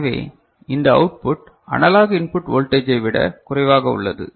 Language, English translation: Tamil, So, this output is lower than the analog input voltage